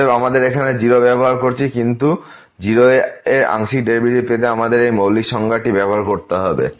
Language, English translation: Bengali, Therefore, we have used here 0, but we have to use this fundamental definition to get the partial derivative at 0